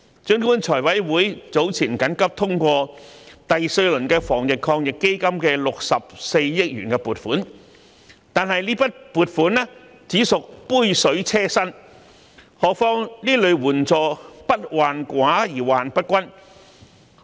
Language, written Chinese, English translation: Cantonese, 儘管財務委員會早前緊急通過第四輪防疫抗疫基金的64億元撥款，但這筆撥款只屬杯水車薪，何況這類援助不患寡而患不均。, Although the Finance Committee has earlier approved urgently the fourth round of 6.4 billion funding commitment under the Anti - epidemic Fund the sum is merely a drop in the bucket let alone the fact that the problem is not with scarcity but with uneven distribution in providing such assistance